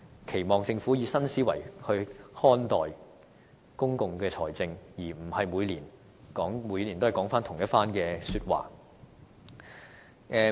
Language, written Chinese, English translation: Cantonese, 期望政府以新思維來看待公共財政，而不是每年都說回同一番說話。, I expect the Government to perceive public finance from a new perspective but not repeating the same words every year